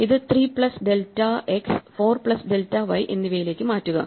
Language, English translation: Malayalam, So, you want to say shift this to 3 plus delta x and 4 plus delta y